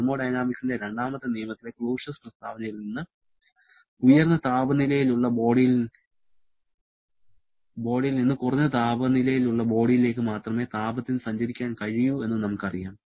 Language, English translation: Malayalam, From the Clausius statement of the second law of thermodynamics, we know that heat can move only from a high temperature body to a low temperature body